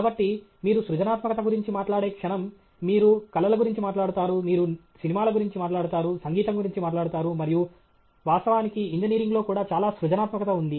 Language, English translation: Telugu, So, the moment you talk about creativity, you talk about arts, you talk about movies, you talk about music and so on, but actually there’s a lot of creativity in engineering also